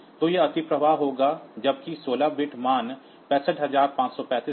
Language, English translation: Hindi, So, it will overflow when that 16 bit value that 65535 is crossed